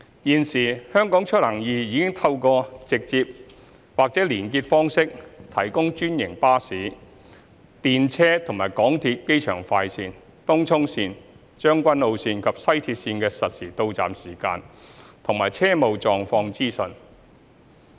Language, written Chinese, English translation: Cantonese, 現時"香港出行易"已透過直接或連結方式提供專營巴士、電車及港鐵機場快綫、東涌綫、將軍澳綫及西鐵綫的實時到站時間及車務狀況資訊。, Currently HKeMobility provides directly or through hyperlinks information on real arrival time and service status of franchised buses trams and Airport Express Tung Chung Line Tseung Kwan O Line and West Rail Line of MTR